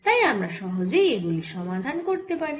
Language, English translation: Bengali, so we can solve this equation easily